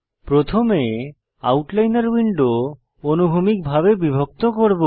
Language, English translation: Bengali, First we will divide the Outliner window horizontally